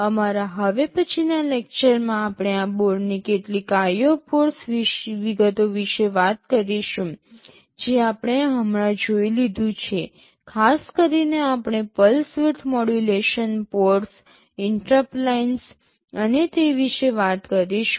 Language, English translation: Gujarati, In our next lecture, we shall be talking about some of the IO port details of this board that we have just now seen, specifically we shall be talking about the pulse width modulation ports, the interrupt lines and so on